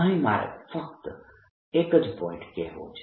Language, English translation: Gujarati, i just want to make one point